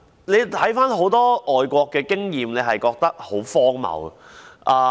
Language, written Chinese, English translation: Cantonese, 我看了很多外國的經驗，覺得很荒謬。, After reviewing the experience of many foreign countries I think such a view is absurd